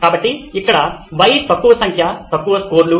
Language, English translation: Telugu, So, here the Y is low number of low scores